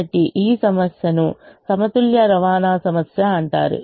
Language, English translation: Telugu, so this problem is called a balanced transportation problem